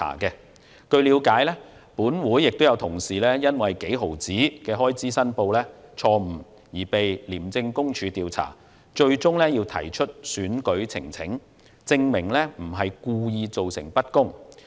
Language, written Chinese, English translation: Cantonese, 據了解，本會有同事因為就微不足道的開支申報錯誤而被廉政公署調查，最終要提出選舉呈請，證明不是故意造成不公。, I learnt that some of our colleagues had been investigated by the Independent Commission Against Corruption because of errors in reporting insignificant expenses . They eventually had to lodge election petitions to prove that they had not intentionally created unfairness